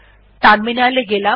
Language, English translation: Bengali, Lets go to terminal